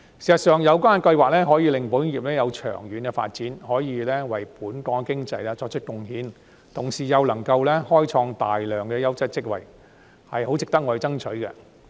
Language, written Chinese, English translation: Cantonese, 事實上，有關計劃可以讓保險業作長遠發展，為本港經濟作出貢獻，同時又能開創大量優質職位，十分值得我們爭取。, In fact such schemes are well worth striving for because they will enable long - term development of the insurance industry thus contributing to Hong Kongs economy while creating a large number of quality jobs